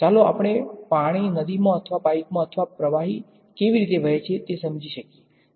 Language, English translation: Gujarati, Let us say in water in a river or in a pipe or whatever how is fluid flow understood